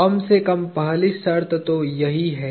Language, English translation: Hindi, At least, that is the first condition